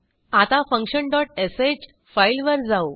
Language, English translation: Marathi, Now let us go back to function dot sh file